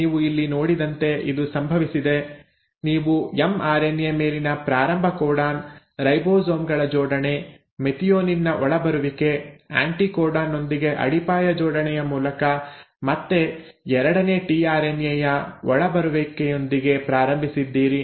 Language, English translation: Kannada, So this has happened as what you have seen here is, you started with the start codon on the mRNA, assembly of the ribosomes, coming in of methionine, coming in of a second tRNA again through base pairing with anticodon